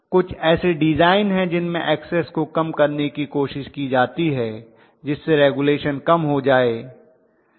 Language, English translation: Hindi, So there are designs which try to minimize this Xs to help regulation